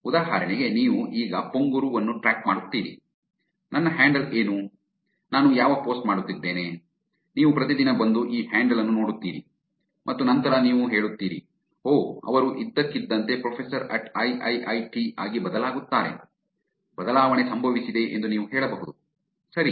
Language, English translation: Kannada, For example, you keep track of Pong Guru right now, what my handle is, what post am I doing, every day you come and look at this handle and then you say that, oh, suddenly it changes to Professor at AAA, Professor at Tripoli, you can say that the change has happened